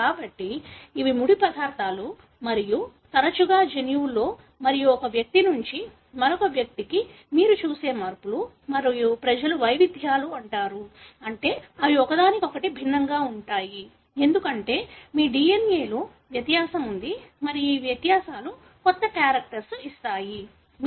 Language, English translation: Telugu, So, these are raw materials and often the changes that you see in the genome and from one individual to the other and the populations are called as variations, meaning they are different from each other, because there is difference in your DNA and these differences can give new characters